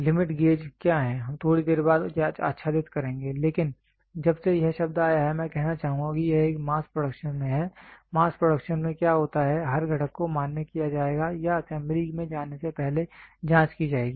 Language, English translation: Hindi, What are limit gauges we will cover little later, but since the word has come I would like to say see it is the in a mass production what happens mass production every component would be like to be validated or checked before it gets into assembly